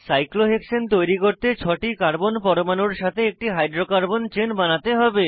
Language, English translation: Bengali, To create cyclohexane, we have to make a hydrocarbon chain of six carbon atoms